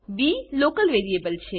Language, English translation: Gujarati, b is a local variable